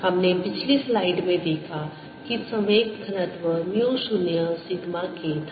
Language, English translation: Hindi, we saw in the previous slide that the momentum density was mu zero sigma k